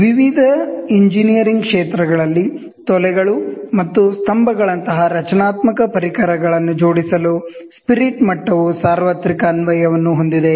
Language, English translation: Kannada, Spirit level has universal application for aligning structural members such as beams and columns in various engineering fields